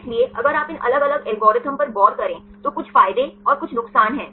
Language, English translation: Hindi, So, if you look into these different algorithms there are some advantages and some disadvantages